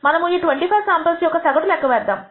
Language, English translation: Telugu, We compute the average of these 25 samples